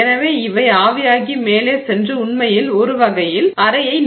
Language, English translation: Tamil, So, they actually evaporate and sort of fill the chamber